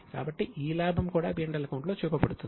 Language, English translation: Telugu, So that profit is also shown in P&L